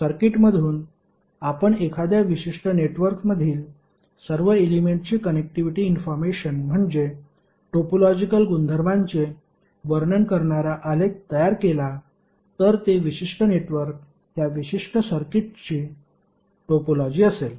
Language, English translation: Marathi, So from the circuit if you create a graph which describe the topological property that means the connectivity information of all the elements in a particular network, then that particular network will be the topology of that particular circuit